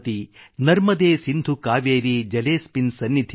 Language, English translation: Kannada, Narmade Sindhu Kaveri Jale asminn Sannidhim Kuru